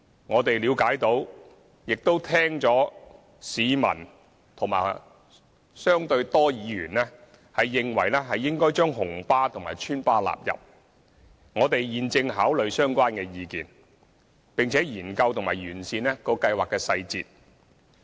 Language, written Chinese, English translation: Cantonese, 我們了解到，亦聽到有市民及相對多的議員認為，應該將紅色小巴及邨巴納入計劃，我們現正考慮相關意見，並研究及完善計劃細節。, We understand and note that in the opinion of some members of the public and quite a number of Members red minibuses and resident services should also be covered by the Scheme . We are now considering such views and will examine and enhance the implementation details of the Scheme